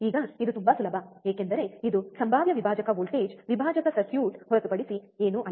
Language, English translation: Kannada, Now this is very easy, because this is nothing but a potential divider voltage divider circuit